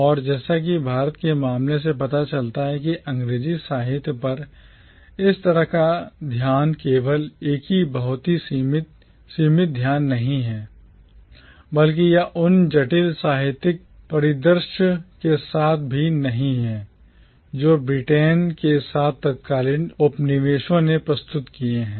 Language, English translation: Hindi, And as the case of India shows us that such a focus on English literature is not only a very limited focus but it is also not in sync with the complex literary landscape that the erstwhile colonies of Britain presented